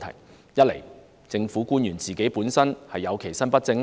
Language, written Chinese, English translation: Cantonese, 第一，政府官員其身不正。, First of all government officials have not acquitted themselves properly